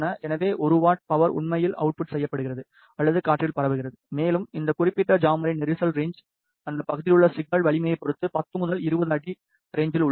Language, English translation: Tamil, So, one watt of power is actually outputted or transmitted in air, and the jamming range of this particular jammer is in 10 to 20 feet range depending on the signal strength in that area